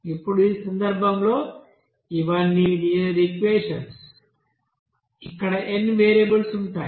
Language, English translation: Telugu, Now in this case, these are all you know linear equations here n number of you know variables involving there